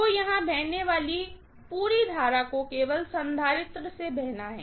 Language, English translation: Hindi, So, the entire current that is flowing here has to flow only through the capacitance